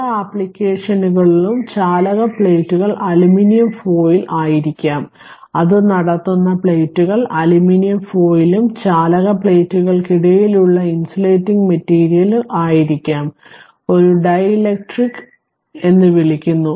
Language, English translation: Malayalam, In many applications the conducting plates may be aluminum foil right the that conducting plates may be aluminum foil and the insulating material between the conducting plates, we called a dielectric right